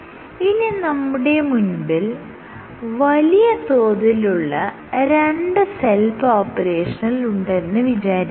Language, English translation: Malayalam, So, if you have two cells imagine if two big populations of cells